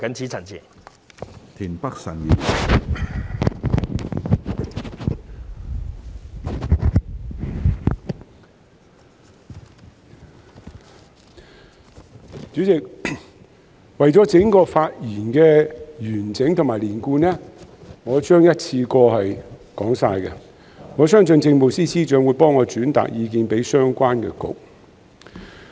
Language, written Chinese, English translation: Cantonese, 主席，為了整段發言的完整性及連貫性，我將會一次過表達我的意見，我相信政務司司長會替我轉達意見給相關的政策局。, President for the sake of completeness and coherence of my entire speech I would like to voice my views in one go . I believe that the Chief Secretary for Administration will convey my views to the Policy Bureaux concerned